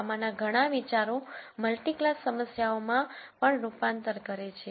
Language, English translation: Gujarati, Many of these ideas also translate to multi class problems